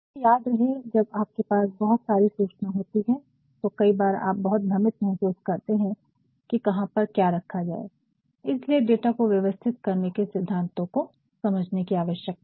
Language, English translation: Hindi, But, remember when you have a lot of information, you actually feel at times very confused as to where to put what, that is why you need to understand the principles of organizing the data